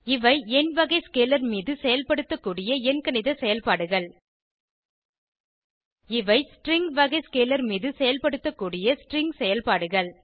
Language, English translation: Tamil, These are few arithmetic operations that can be performed on number type of scalar These are string operations that can be performed on string type of scalar